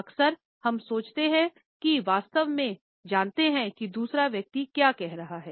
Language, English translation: Hindi, Often times, we think we know exactly what another person is saying